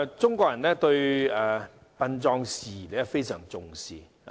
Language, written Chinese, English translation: Cantonese, 中國人對殯葬事宜非常重視。, Chinese people set great store by funerals and burials